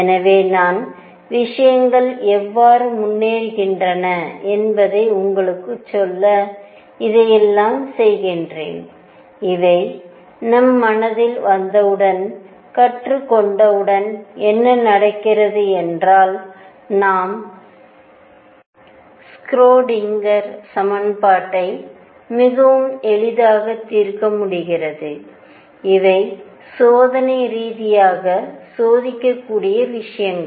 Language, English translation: Tamil, So, I am doing all this is to tell you how things progress and these are once we have this in our mind, learning what happens later when we solve the Schrödinger equation becomes very easy, but these are things that can be checked experimentally